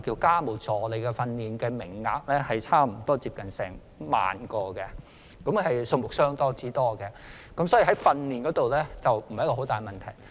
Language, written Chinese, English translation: Cantonese, 家務助理的訓練名額每年有近萬名，數目相當多，可見在訓練家務助理方面的問題並不大。, The number of training places for DHs is abundant with nearly 10 000 training places available every year . Thus there is no major problem with training DHs